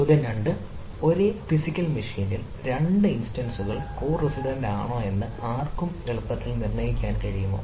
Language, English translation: Malayalam, question two: can anyone, can one easily determine if two instances are co resident on the same physical machine